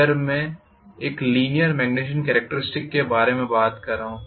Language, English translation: Hindi, This is what is our magnetization characteristics normally